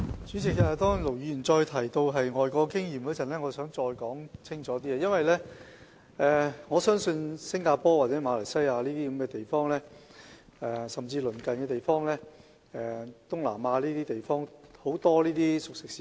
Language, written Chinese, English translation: Cantonese, 主席，盧議員再次提到外國經驗，我想再說清楚一點，因為我曾多次到訪新加坡、馬來西亞等東南亞地方的熟食市場。, President Ir Dr LO Wai - kwok mentioned foreign experience again and I would like to make a point clear . I have visited the cooked food markets in Southeast Asia such as Singapore and Malaysia many times